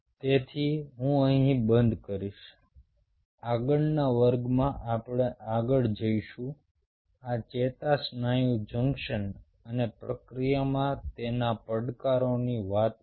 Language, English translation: Gujarati, in the next class we will further this a story of neuromuscular junction and its challenges in the process